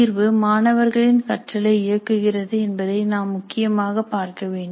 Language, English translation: Tamil, And it's very important to see that assessment drives student learning